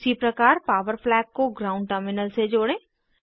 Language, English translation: Hindi, Place this power flag near the ground terminal